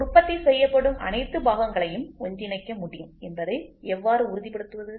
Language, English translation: Tamil, So and how do you make sure that all parts produced can be assembled